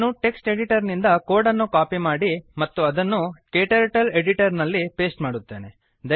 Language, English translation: Kannada, I will copy the code from text editor and paste it into KTurtle editor